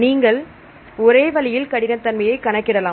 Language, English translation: Tamil, So, you can do the same way and then you can calculate rigidity